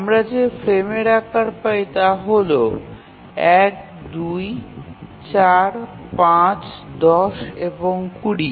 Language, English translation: Bengali, So the frame sizes if you see here are 4, 5 and 20